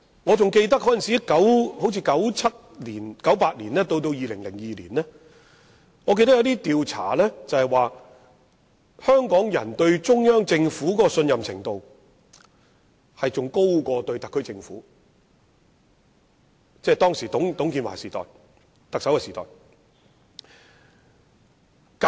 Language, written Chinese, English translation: Cantonese, 我記得大概在1997年、1998年至2002年間，有調查指出，香港人對中央政府的信任程度較特區政府還要高，當時的特首是董建華。, I recalled that in 1997 1998 to 2000 it was revealed in studies that Hong Kong people had greater trust in the Central Government than the SAR Government The then Chief Executive was TUNG Chee - hwa